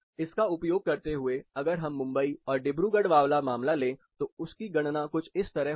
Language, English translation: Hindi, Using this, what we can do if you take the same case of Mumbai and Dibrugarh, the calculation goes like this